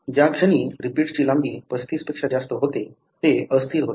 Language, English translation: Marathi, So, the moment the repeat length exceeds 35, it becomes unstable